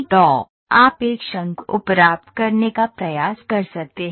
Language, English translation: Hindi, So, you can try to get a cone